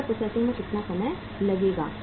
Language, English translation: Hindi, Order processing will take how much time